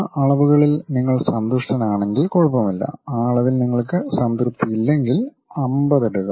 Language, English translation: Malayalam, If you are happy with that dimensions, it is ok if you are not happy with that dimension just put 50